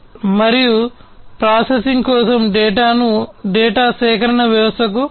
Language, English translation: Telugu, And transmit the data to the data acquisition system for further processing